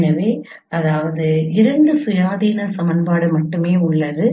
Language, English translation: Tamil, So which means there are only two independent equations